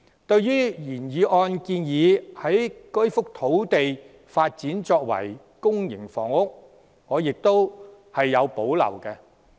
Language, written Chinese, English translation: Cantonese, 對於原議案建議以該幅用地發展公營房屋，我亦有保留。, I also have reservations about developing public housing on the site as proposed in the original motion